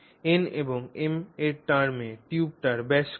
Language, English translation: Bengali, So, in terms of n and m, what is the diameter of the tube